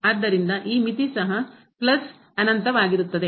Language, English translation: Kannada, So, this limit will be also plus infinity